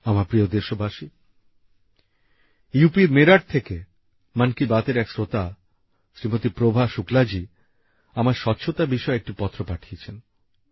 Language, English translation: Bengali, a listener of 'Mann Ki Baat', Shrimati Prabha Shukla from Meerut in UP has sent me a letter related to cleanliness